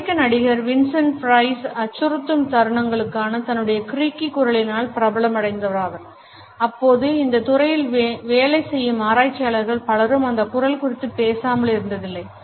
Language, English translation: Tamil, The American actor Vincent Price is famous for his excellent creaky voice in menacing moments and it has always been referred to by researchers working in this area